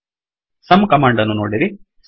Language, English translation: Kannada, See the sum command